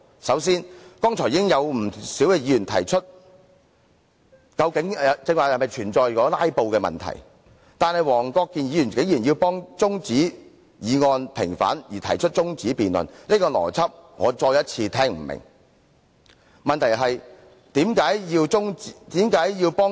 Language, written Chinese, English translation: Cantonese, 首先，已經有不少議員提出剛才是否存在"拉布"的問題，但黃議員竟然因為要替中止待續議案平反而提出中止辯論，我再次聽不明白這個邏輯。, We should first note that many Members have already queried whether there was any filibustering just now . Nonetheless Mr WONG perversely moved that the debate be adjourned on the grounds that he wanted to vindicate adjournment motions . Again I do not understand the logic of this argument